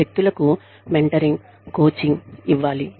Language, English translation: Telugu, Mentoring, coaching people